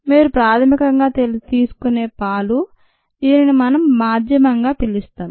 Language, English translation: Telugu, the milk that you initially take, we can call it the medium right